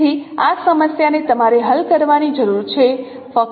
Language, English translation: Gujarati, That is the problem what you need to solve